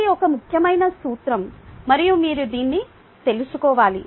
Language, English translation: Telugu, this is an important principle and you need to know this